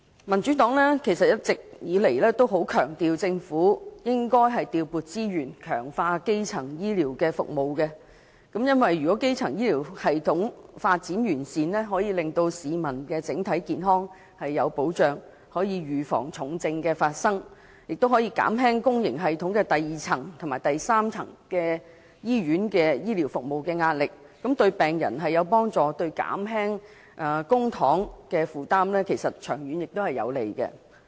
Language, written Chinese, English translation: Cantonese, 民主黨一直強調政府應該調撥資源，強化基層醫療服務，因為基層醫療系統發展完善，便可令市民的整體健康有保障，預防重症發生，減輕公營醫療系統第二層和第三層——即醫院服務的壓力，對病人有利，長遠對減輕公帑負擔也有幫助。, The Democratic Party has always stressed that the Government should allocate resources to strengthening primary health care services as a sound primary health care system can ensure the general health of the people prevent serious illnesses and reduce the pressure on the secondary and tertiary levels of the public health care system that is on hospital services . This will be beneficial to patients and conducive to reducing the burden on public expenditure in the long run